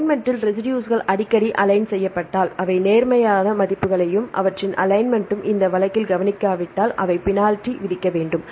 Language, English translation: Tamil, In the alignment, if the residues are aligned quite frequently they give the positive values and their alignment if they are not observed in this case we need to penalize